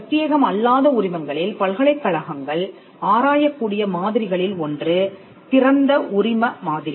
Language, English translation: Tamil, In the non exclusive licenses one of the models that universities can explore is the open licensing model